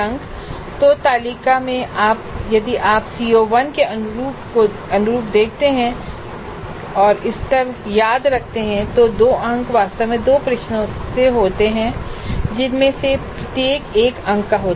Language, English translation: Hindi, So in the table if you see corresponding to CO1 corresponding to remember level two marks are actually composed with two questions, each of one mark